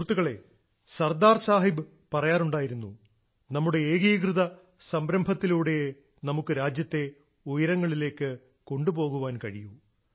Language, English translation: Malayalam, Sardar Sahab used to say "We can take our country to loftier heights only through our united efforts